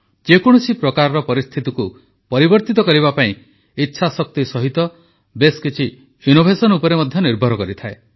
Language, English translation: Odia, In order to change circumstances, besides resolve, a lot depends on innovation too